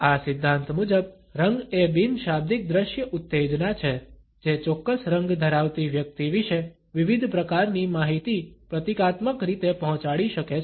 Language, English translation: Gujarati, According to this theory, color is a non lexical visual stimulus that can symbolically convey various types of information about the person who is carrying a particular color